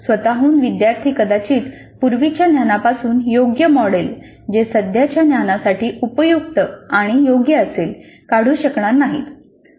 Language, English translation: Marathi, By themselves, learners may not be able to recollect a proper model, proper model from the earlier knowledge which is relevant and appropriate for the current knowledge